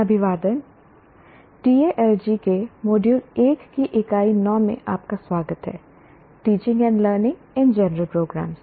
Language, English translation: Hindi, Greetings Greetings, welcome to Unit 9 of module 1 of Tal G, teaching and learning in general programs